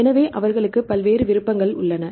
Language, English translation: Tamil, So, they have a various options right